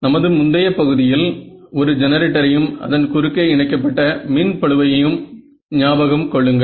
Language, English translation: Tamil, Remember in our earlier case, I had the generator and one load connected across it